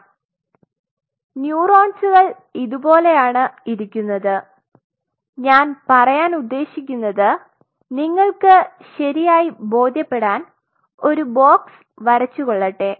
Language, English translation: Malayalam, So, these neurons are kind of sitting like this let me draw a box to give you that feel exactly what I am trying to tell you